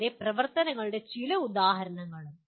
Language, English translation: Malayalam, And some examples of activities